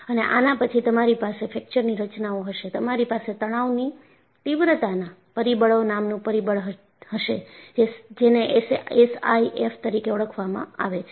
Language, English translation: Gujarati, And then, you will have in Fracture Mechanics, you have a parameter called Stress Intensity Factor; abbreviated as S I F